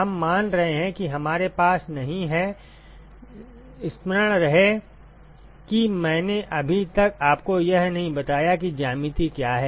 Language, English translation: Hindi, We are assuming we have not; remember that I have not told you what the geometry is yet